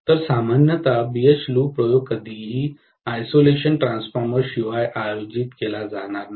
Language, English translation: Marathi, So, normally BH loop experiment will never be conducted without an isolation transformer